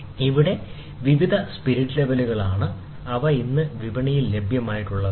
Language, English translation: Malayalam, So, these are various spirit levels, which are available today in the market